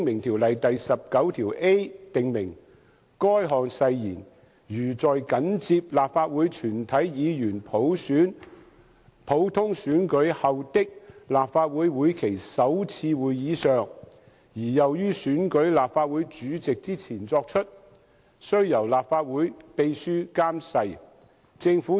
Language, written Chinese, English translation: Cantonese, 《條例》第 19a 條訂明，誓言如在緊接立法會全體議員普通選舉後的立法會會期首次會議上而又於選舉立法會主席之前作出，須由立法會秘書監誓。, Section 19a of the Ordinance stipulates that if the Legislative Council Oath is taken at the first sitting of the session of the Legislative Council immediately after a general election of all Members of the Council and before the election of the President of the Council it shall be administered by the Clerk to the Council